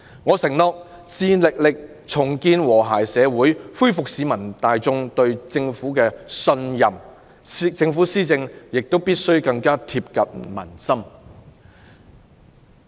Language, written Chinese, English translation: Cantonese, 我承諾致力重建和諧社會，恢復市民大眾對政府的信任，政府施政亦必須更貼近民心。, I pledge to rebuild a harmonious society and restore confidence in our Government . Government policy implementation must be more closely aligned with public opinions